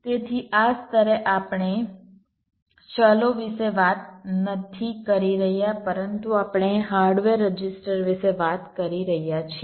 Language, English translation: Gujarati, we we are not talking about the variables, but you are talking about the hardware registers